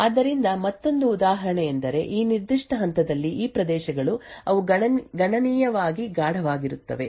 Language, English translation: Kannada, So another example is these regions at this particular point, which are considerably darker